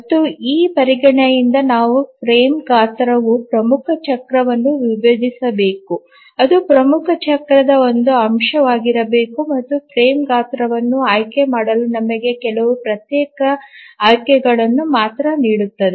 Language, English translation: Kannada, And from this consideration we get the condition that the frame size should divide the major cycle, it should be a factor of the major cycle, and that gives us only few discrete choices to select the frame size